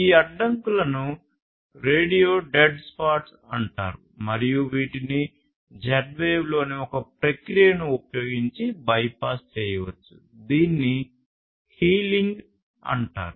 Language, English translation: Telugu, And these obstructions are known as radio dead spots, and these can be bypassed using a process in Z wave which is known as healing